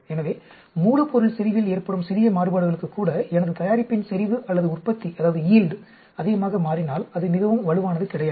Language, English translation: Tamil, So, even for small variations in the raw material concentration, if my product concentration or yield changes a lot, then it is not very robust